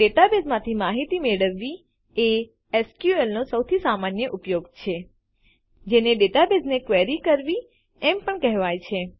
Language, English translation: Gujarati, The most common use of SQL is to retrieve data from a database which is also known as querying a database